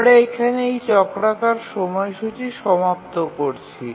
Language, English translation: Bengali, So now we conclude on this cyclic scheduler